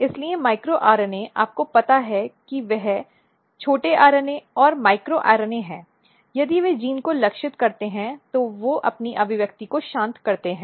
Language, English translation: Hindi, So, micro RNA you know that they are small RNA and micro RNA what happens that if they target a gene they silence its expression